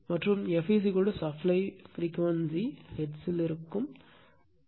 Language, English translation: Tamil, And f is equal to supply frequency is hertz, this f in hertz right